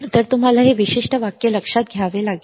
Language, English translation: Marathi, So, you have to note this particular sentence